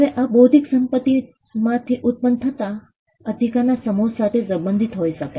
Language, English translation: Gujarati, Now this could relate to a set of rights that come out of the intellectual property